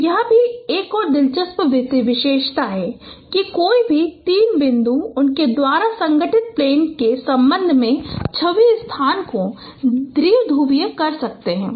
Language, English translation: Hindi, So this is also another interesting feature that any three points can bi partition the image space with respect to the plane formed by them